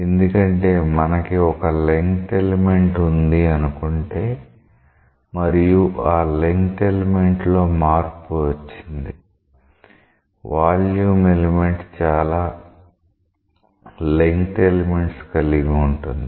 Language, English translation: Telugu, Because if you have a length element and the length element gets changed; a volume element is comprising of several such length elements